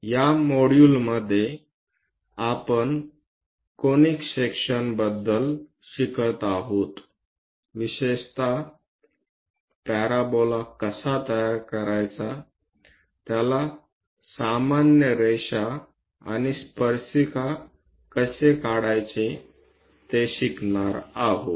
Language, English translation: Marathi, In this module, we are learning about Conic Sections; especially how to construct parabola, how to draw a normal and tangent to it